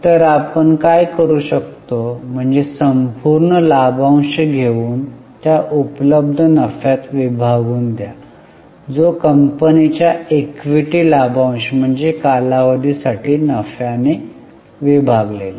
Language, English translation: Marathi, So, what we can do is take the total dividend and divide it by the available profits, which is equity dividend of the company divided by the profit for the period